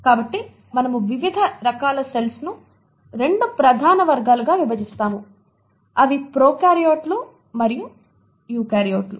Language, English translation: Telugu, So we divide different types of cells into 2 major categories, prokaryotes and eukaryotes